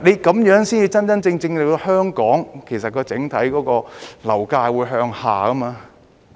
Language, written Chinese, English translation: Cantonese, 這樣才能真正令香港的整體樓價向下調。, This is how we can really bring down the overall property prices in Hong Kong